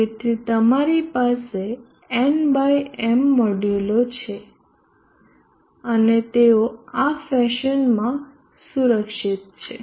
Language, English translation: Gujarati, So you have N by M modules and they are protected in this fashion